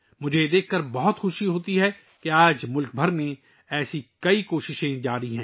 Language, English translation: Urdu, It gives me great pleasure to see that many such efforts are being made across the country today